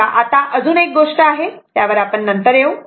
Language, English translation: Marathi, So now, another thing is that ah we will come to that later